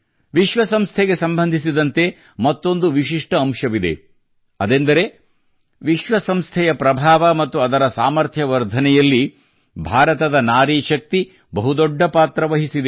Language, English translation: Kannada, A unique feature related to the United Nations is that the woman power of India has played a large role in increasing the influence and strength of the United Nations